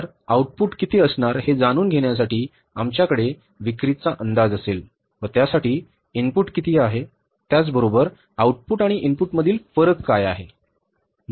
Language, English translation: Marathi, So, we will have to forecast the sales to know about that how much is going to be the output, for that how much is going to be the input and what is going to be the difference between the output and the input